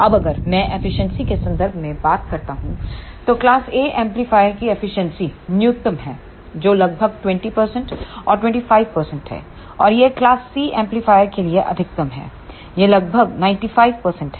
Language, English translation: Hindi, Now, if I talk about in terms of efficiency then the efficiency of class A amplifier is minimum that is about 20 percent and 25 percent, and it is maximum for class C amplifier it is around 95 percent